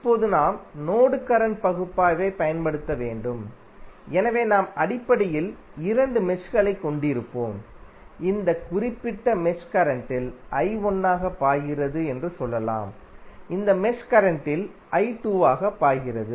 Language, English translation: Tamil, Now, we have to apply mesh current analysis, so we will have essentially two meshes which we can create say let us say that in this particular mesh current is flowing as I 1, in this mesh current is flowing as I 2